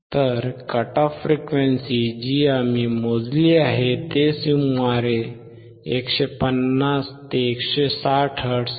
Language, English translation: Marathi, So, the cut off frequency, that we have calculated is about 150 to 160 hertz